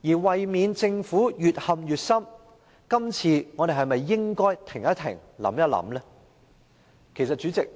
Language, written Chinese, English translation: Cantonese, 為免政府越陷越深，我們今次是否應停一停，想一想呢？, To prevent the Government from sinking deeper into the quagmire should we not pause and think this time?